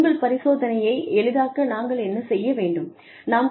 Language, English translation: Tamil, What can we do, to facilitate your experimentation